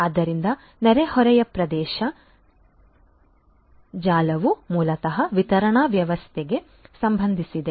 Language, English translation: Kannada, So, neighborhood area network basically just concerns the distribution the distribution system